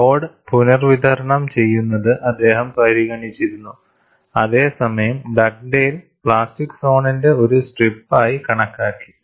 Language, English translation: Malayalam, He had considered redistribution of load, whereas Dugdale considered a strip of plastic zone